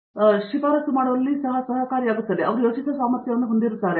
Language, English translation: Kannada, So, that helps them in recommendation later also, he is capable of thinking